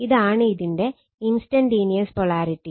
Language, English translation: Malayalam, It is instantaneous polarity